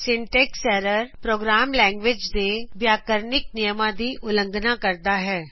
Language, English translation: Punjabi, Syntax error is a violation of grammatical rules, of a programming language